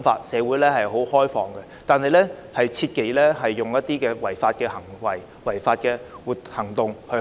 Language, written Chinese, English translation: Cantonese, 社會是開放的，但切忌做出一些違法的行為和行動。, While society is open they should refrain from committing unlawful acts and actions